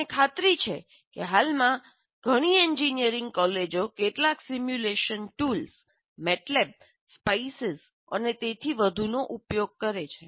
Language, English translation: Gujarati, I'm sure that already presently many of the engineering colleges do use some simulation tools already, like MATLAB or SPICE and so on